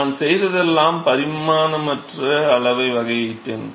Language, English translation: Tamil, So, all I have done is I have differentiated the dimensionless quantity